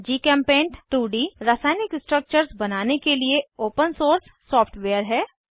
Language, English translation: Hindi, GchemPaint is an Open source software for drawing 2D chemical structures